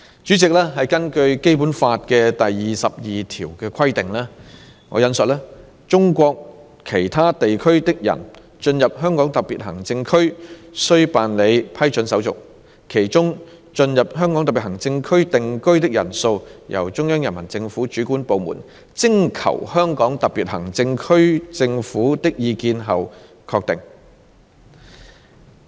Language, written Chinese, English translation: Cantonese, 主席，根據《基本法》第二十二條的規定，"中國其他地區的人進入香港特別行政區須辦理批准手續，其中進入香港特別行政區定居的人數由中央人民政府主管部門徵求香港特別行政區政府的意見後確定。, President it is stipulated in Article 22 of the Basic Law that I quote For entry into the Hong Kong Special Administrative Region people from other parts of China must apply for approval . Among them the number of persons who enter the Region for the purpose of settlement shall be determined by the competent authorities of the Central Peoples Government after consulting the government of the Region